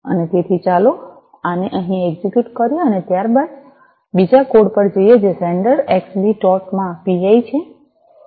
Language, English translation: Gujarati, And so, let us execute this one over here, and thereafter let us go to the other code which is the sender x b dot pi